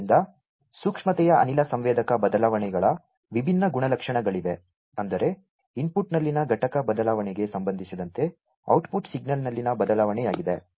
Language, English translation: Kannada, So, there are different characteristics of the gas sensor changes in the sensitivity; that means, it is the change in the output signal, with respect to the unit change in the input